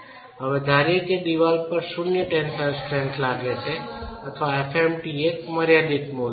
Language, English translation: Gujarati, Now you could assume that the wall has zero tensile strength or assume that FMT is a finite value